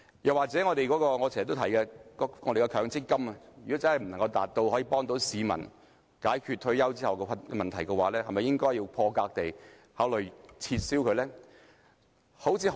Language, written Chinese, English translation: Cantonese, 又或是我經常提及的強積金，如果無法保障市民退休後的生活，是否應該破格地考慮將之撤銷呢？, Or if the Mandatory Provident Fund that I always mention fails to protect peoples retirement life should we consider taking some unconventional approach and abolish it?